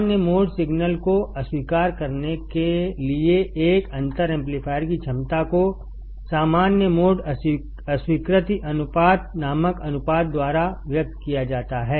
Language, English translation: Hindi, The ability of a differential amplifier to reject common mode signal is expressed by a ratio called common mode rejection ratio